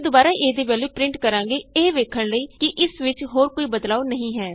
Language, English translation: Punjabi, We again print as value to see that there are no further changes